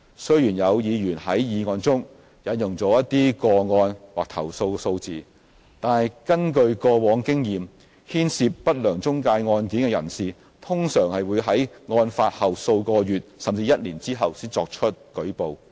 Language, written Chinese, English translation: Cantonese, 雖然有議員在議案中引用一些個案或投訴數字，但根據過往經驗，牽涉不良中介案件的人士通常會於案發後數個月甚至一年後才作出舉報。, Although some cases or the number of complaints is cited in the motion from past experiences people affected by cases involving unscrupulous intermediaries normally lodge a report several months or even a year after their case happened